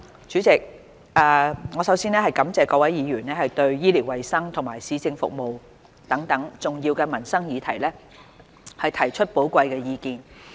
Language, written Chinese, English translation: Cantonese, 主席，我首先感謝各位議員對醫療衞生及市政服務等重要的民生議題提出寶貴的意見。, President for starters I would like to thank Honourable Members for their valuable opinions on important issues concerning peoples livelihood such as health care and medical services as well as municipal services